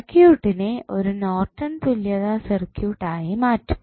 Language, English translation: Malayalam, So, you get the Norton's equivalent of the circuit